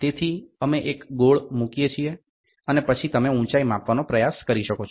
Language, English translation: Gujarati, So, we put a circular one and then you can try to measure the height